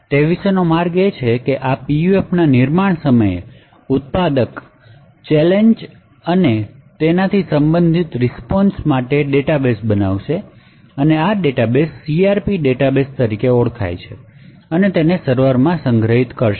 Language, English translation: Gujarati, So the way to go about it is that at the time of manufacture of this PUF, the manufacturer would create a database for challenges and the corresponding responses, so this database over here is known as the CRP database and it would be stored in the server